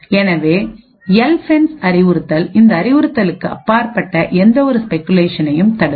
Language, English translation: Tamil, So, the LFENCE instruction would therefore prevent any speculation of beyond that instruction